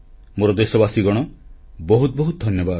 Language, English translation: Odia, My dear countrymen, thank you very much